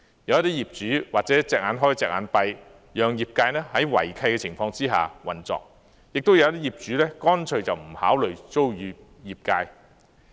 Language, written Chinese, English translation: Cantonese, 有些業主或者睜一隻眼、閉一隻眼，讓業界在違契的情況下運作；亦有些業主乾脆不考慮租與業界。, Some owners have turned a blind eye allowing them to operate in breach of lease conditions . Some other owners simply refuse to consider leasing to these sectors